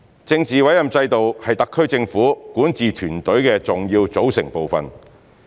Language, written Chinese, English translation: Cantonese, 政治委任制度是特區政府管治團隊的重要組成部分。, The political appointment system is an integral part of the SARs governing team